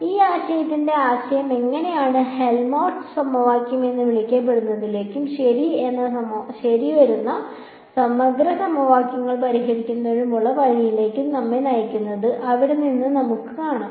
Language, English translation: Malayalam, And from there we will see how the idea for this idea leads us to what is called the Helmholtz equation and ways of solving the integral equations that come ok